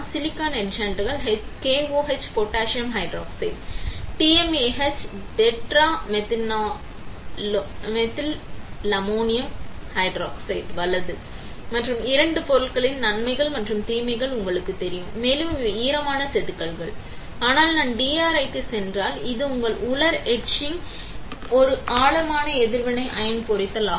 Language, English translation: Tamil, Silicon etchants are KOH potassium hydroxide, TMAH tetramethylammonium hydroxide, right; and you know the advantages and disadvantages of both the materials, also these are wet etching; but if I go for DRI, which is your dry etching is a deep reactive ion etching